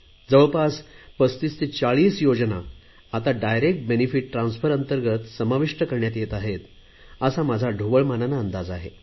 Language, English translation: Marathi, According to my rough estimate, around 3540 schemes are now under 'Direct Benefit Transfer